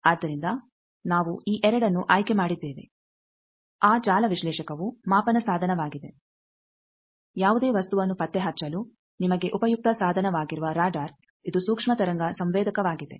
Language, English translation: Kannada, So, that is why we have selected these 2 that network analyzer which is measurement device radar which is a useful device for you know detecting any object it is a microwave sensor